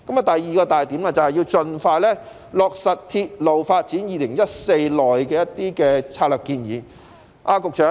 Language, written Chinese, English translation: Cantonese, 第二個重點是盡快落實《鐵路發展策略2014》內的建議。, The second key point is to expeditiously implement the recommendations in the Railway Development Strategy 2014